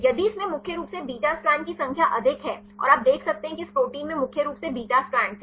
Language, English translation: Hindi, If this contains mainly more number of beta strands right and you can see this protein contains mainly beta strands